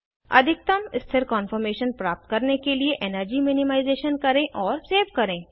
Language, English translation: Hindi, Do the energy minimization to get the most stable conformation and save